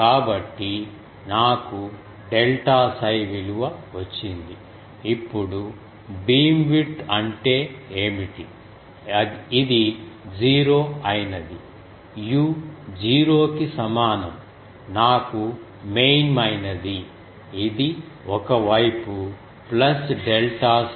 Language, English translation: Telugu, So, I got the value of delta psi, now what is the beamwidth this is the null, u is equal to 0 is my main this is one side plus delta psi